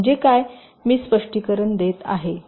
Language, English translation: Marathi, so what i mean i am just explaining